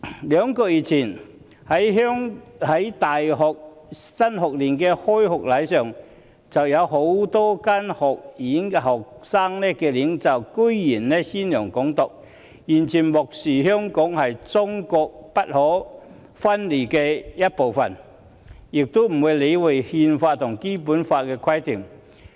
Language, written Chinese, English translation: Cantonese, 兩個月前，在大學新學年開學禮上，有多間學院的學生領袖公然宣揚"港獨"，完全漠視香港是中國不可分離的一部分，也不理會國家《憲法》和《基本法》的規定。, Two months ago on the first day of school student leaders of several universities openly advocated Hong Kong independence totally ignoring that Hong Kong is an inalienable part of China and disregarding the requirements of the countrys Constitution and the Basic Law